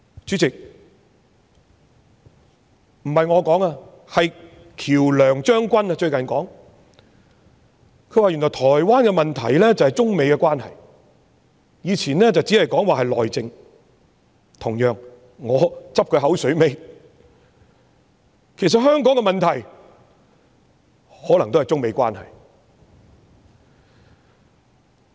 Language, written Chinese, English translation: Cantonese, 主席，喬良將軍最近說原來台灣的問題便是中美關係，以前這只會說是內政，同樣地，我拾他牙慧，其實香港的問題可能也是中美關係。, Chairman General QIAO Liang has said recently that the problem of Taiwan is actually a matter of China - United States relations though in the past it was only said to be an internal affair . Likewise―let me parrot what he has said―I would say that the problem of Hong Kong is probably also a matter of China - United States relations